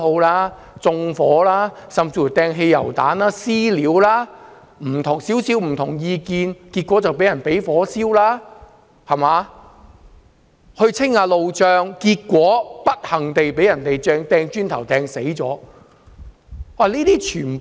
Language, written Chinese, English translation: Cantonese, 他們縱火、擲汽油彈、"私了"，有人持稍為不同的政見便被火燒，有人在清理路障時不幸被磚頭擊中致死。, They set things on fire hurled petrol bombs and executed vigilante justice . A guy who held slightly different political views was set on fire another one was hit by a brick and passed away unfortunately when clearing road blockages